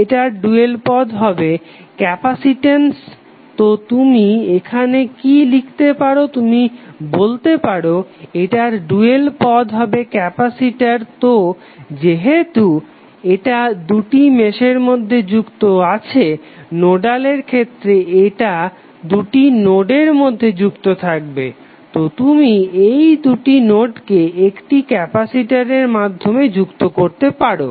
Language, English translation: Bengali, The dual of this is the capacitance so what you can write here you can say that dual of this is capacitor so since it is connected between two mesh in the nodal case it will be connected between two nodes, so you can simply add this two nodes through one capacitor